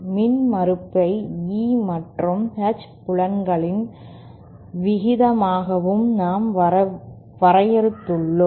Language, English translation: Tamil, Recall we had defined impedence also as the ratio of E and H fields